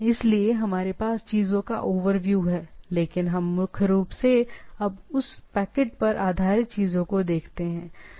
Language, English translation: Hindi, So, we have a overview of the things, but we primarily now look at that packet switched based things what we go on subsequent things, right